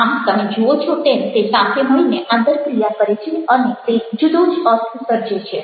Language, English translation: Gujarati, so you see that together they interact and they create a different meaning